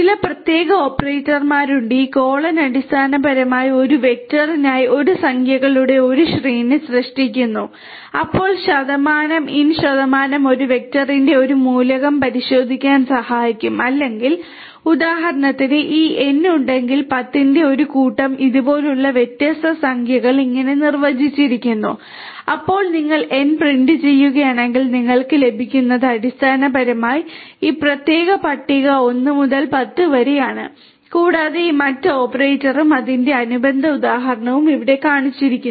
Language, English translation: Malayalam, There are certain special operators, this colon basically creates a series of numbers for a vector, then percentage in percent will help to check an element belonging to a vector or not so for instance if you have this N which is a set of 10 different integers like this defined like this, then if you print N; then if you print N then what you get is basically this particular list 1 through 10 right and this other operator also and its corresponding example is shown over here